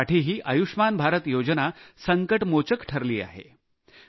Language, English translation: Marathi, For her also, 'Ayushman Bharat' scheme appeared as a saviour